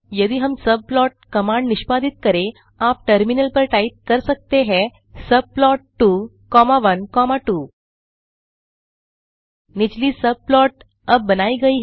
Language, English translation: Hindi, If we execute the subplot command as you can type on the terminal subplot within brackets 2 comma 1 comma 2